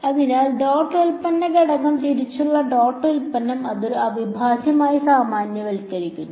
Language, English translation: Malayalam, So, the dot product element wise dot product, it generalizes to a integral